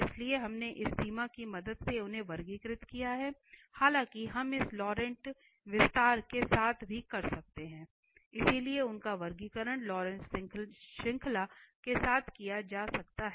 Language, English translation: Hindi, So, we have classified with the help of this limit their, though we can do with this expansion Laurent’s expansion as well, so their classification can be done with the Laurent series